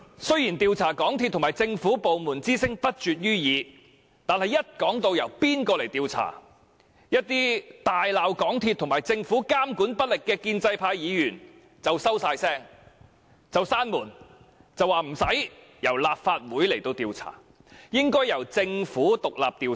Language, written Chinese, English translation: Cantonese, 雖然要求調查港鐵公司和政府部門之聲不絕於耳，但一說到應由誰來調查，一些大罵港鐵公司和政府監管不力的建制派議員便立刻噤聲，然後說無須由立法會調查，應由政府獨立調查。, Despite incessant calls for an investigation into MTRCL and the relevant government departments when the question of who should undertake the investigation was raised some pro - establishment Members who have been chiding MTRCL and the Government for being lax in monitoring immediately clammed up and said that the Legislative Council should not conduct an investigation as an independent inquiry should be conducted by the Government